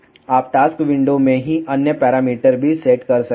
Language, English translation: Hindi, You can also set other parameters in the task window itself